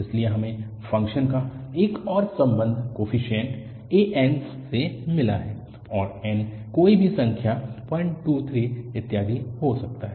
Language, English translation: Hindi, So, we got another relation of the function to the coefficient an’s and n can be any number 1, 2, 3, and so on